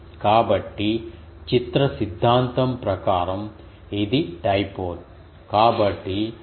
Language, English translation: Telugu, So, that by image theory it is the dipole